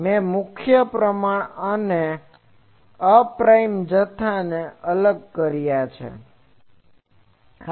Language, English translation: Gujarati, So, I have separated the prime quantities and unprime quantities